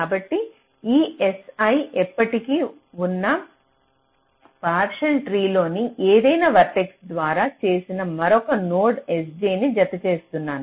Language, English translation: Telugu, so this s i can by any one of the vertices in the existing partial tree and i am adding another node, s j